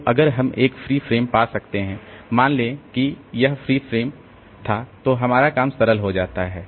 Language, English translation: Hindi, So, if we can find a free frame, suppose this frame was free then our job is simple